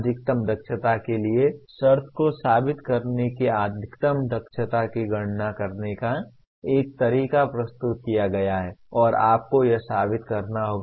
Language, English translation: Hindi, Proving the condition for maximum efficiency that there is a method of computing maximum efficiency is presented and you have to prove that